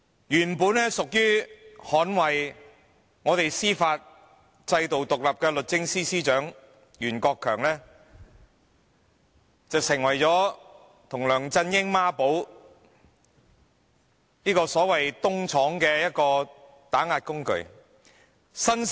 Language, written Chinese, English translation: Cantonese, 原本應當捍衞我們司法制度獨立的律政司司長袁國強，與梁振英成為孖寶，律政司成為了所謂"東廠"的打壓工具。, Rimsky YUEN the Secretary for Justice who ought to defend the independence of our judicial system worked in duo with LEUNG Chun - ying to turn the Department of Justice into a tool of oppression akin to the so - called East Yard